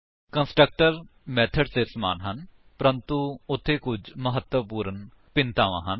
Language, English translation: Punjabi, Constructors are also similar to methods but there are some important differences